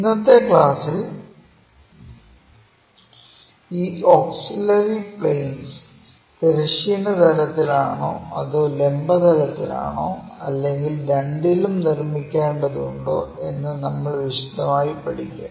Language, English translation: Malayalam, In today's class we will learn in detail about our auxiliary plane concepts whether these auxiliary planes has to be constructed with respect to horizontal plane or vertical plane or on both